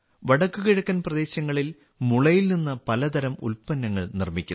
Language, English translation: Malayalam, Many types of products are made from bamboo in the Northeast